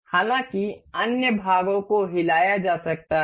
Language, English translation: Hindi, However the other parts can be moved